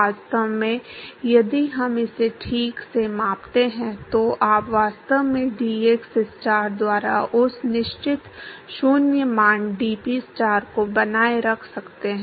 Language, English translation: Hindi, In fact, if we scale it out properly, you can actually maintain that certain 0 value dPstar by dxstar